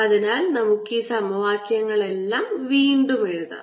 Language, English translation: Malayalam, so let's write all these equations again